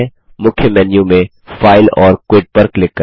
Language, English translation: Hindi, From the Main menu, click File and Quit